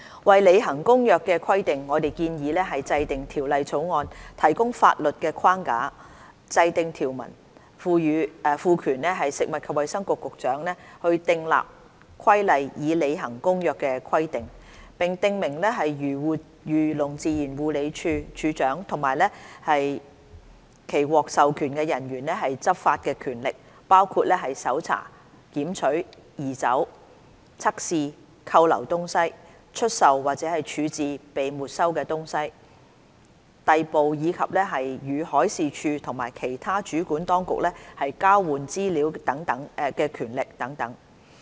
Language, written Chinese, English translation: Cantonese, 為履行《公約》的規定，我們建議制定《條例草案》提供法律框架，訂定條文，賦權食物及衞生局局長訂立規例以履行《公約》的規定，並訂明漁農自然護理署署長及其獲授權人員的執法權力，包括搜查、檢取、移走、測試、扣留東西、出售或處置被沒收東西、逮捕，以及與海事處和其他主管當局交換資料的權力等。, In order to comply with CCAMLR we propose to enact the Bill to provide a legal framework and introduce provisions to empower the Secretary for Food and Health to make regulations for implementing the provisions of CCAMLR and set out the enforcement powers of the Director and authorized officers of the Agriculture Fisheries and Conservation Department AFCD including the powers to search for seize remove carry out tests on and detain things sell or dispose of forfeited things arrest persons and exchange information with the Marine Department and other competent authorities